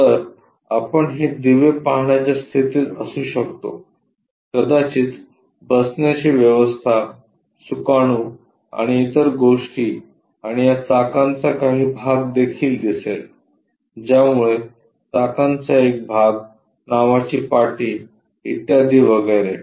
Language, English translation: Marathi, So, we will be in a position to see these lights, perhaps the seat arrangement, steering, and other things, and some part of these tyres also will be visible, so that part of the tyres, the name plate, and so on so forth